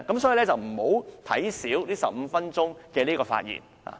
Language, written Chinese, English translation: Cantonese, 所以，大家不應小看這15分鐘發言時間。, For this reason Members should not take lightly the 15 - minute speaking time